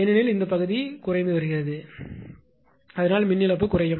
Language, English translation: Tamil, Because this part is getting decrease right; this part is getting decrease that is why power loss will reduced